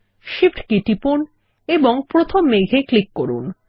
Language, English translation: Bengali, Press the Shift key and click the first cloud and then click on the second